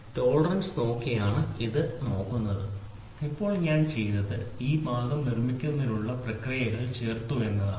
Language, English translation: Malayalam, You look at it just by looking at the tolerance now what I have done is I have added processes to produce this part